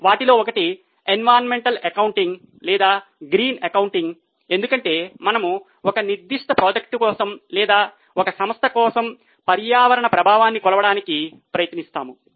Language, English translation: Telugu, One of them is environmental accounting or green accounting as it is known as where we try to measure the environmental impact for a particular project or for a company